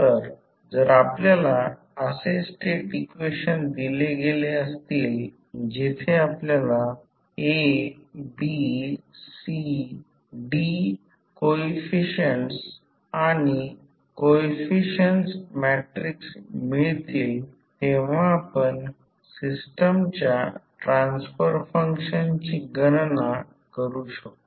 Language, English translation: Marathi, So, if you are given the state equations where you can find out the A, B, C, D coefficients or the coefficient matrices you can simply calculate the transfer function of the system